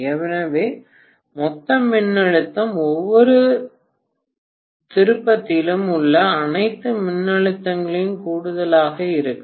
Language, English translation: Tamil, So the total voltage what I get will be the addition of all the voltages across each of the turns, right